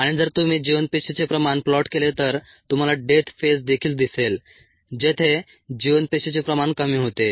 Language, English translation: Marathi, and if you plot viable cell concentration, you would also see a death phase where the viable cell concentration goes down